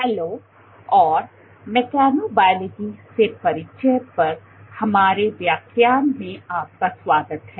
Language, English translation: Hindi, Hello and welcome to our lecture on Introduction to Mechanobiology